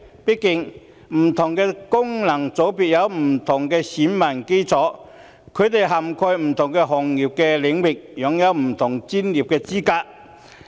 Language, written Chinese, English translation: Cantonese, 畢竟，不同功能界別有不同選民基礎，他們涵蓋不同行業領域，擁有不同專業資格。, After all different FCs have different electorates covering different sectors and fields and with different professional qualifications